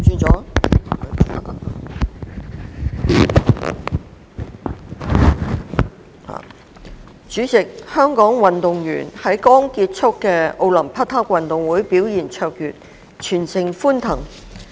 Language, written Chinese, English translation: Cantonese, 主席，香港運動員在剛結束的奧林匹克運動會表現卓越，全城歡騰。, President Hong Kong athletes performed brilliantly at the Olympic Games which ended recently and the whole city was jubilant